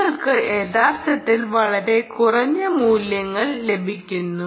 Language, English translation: Malayalam, you are actually getting ah, much lower values